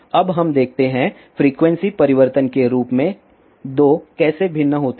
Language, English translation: Hindi, Now let us see; how these 2 vary as frequency changes